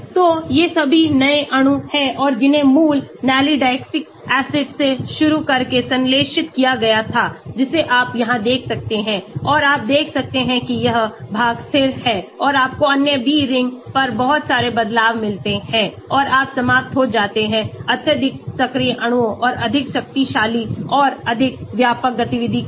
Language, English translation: Hindi, So, all these are new molecules and that were synthesized starting from the original Nalidixic acid here you can see here, and you can see that that this portion is constant, and you get a lot of changes on the other B ring and you end up with very highly active molecules and more potent and more wider range of activity